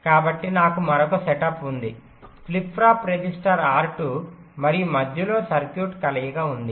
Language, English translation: Telugu, so i have another setup, flip flop, register r two, and there is a combination of circuit in between